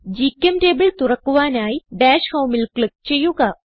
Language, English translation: Malayalam, To open GChemTable, click on Dash Home